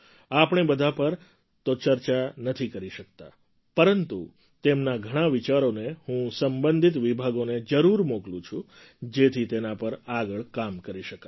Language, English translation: Gujarati, We are not able to discuss all of them, but I do send many of them to related departments so that further work can be done on them